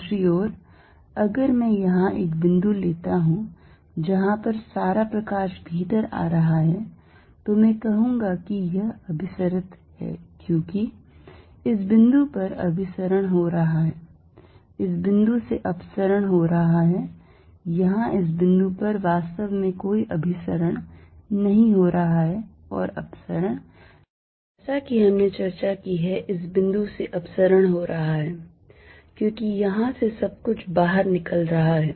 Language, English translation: Hindi, On the other hand, if I take a point here we are all the light is coming in, then I will say this is convergent as converging to this point is diverging from this point, here at this point there is really no convergence and divergence they could be as we just discussed divergence of this point, because everything is coming out of here